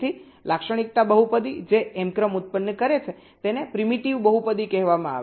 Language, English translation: Gujarati, so the characteristic polynomial which generates and m sequence is called a primitive polynomial